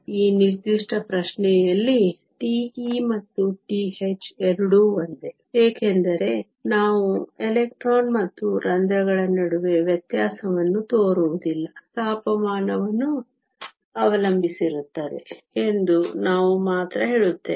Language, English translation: Kannada, In this particular question, tau e and tau h are both the same, because we do not distinguish between electrons and holes; we only say it depends upon temperature